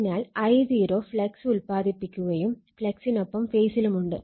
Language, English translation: Malayalam, Therefore, I0 produces the flux and in the phase with the flux